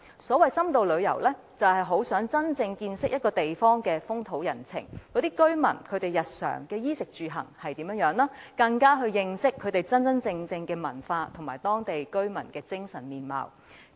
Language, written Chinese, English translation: Cantonese, 所謂深度旅遊，是希望真正見識一個地方的風土人情，了解當地居民日常的衣食住行，加深認識當地真正文化及居民的精神面貌。, By the so - called in - depth tourism people visit a place to truly get to know the social customs of the place; acquaint themselves with the daily lifestyle of the locals in terms of clothing food housing and transport; and acquire a better understanding of the authentic culture of the place and the ethos of the locals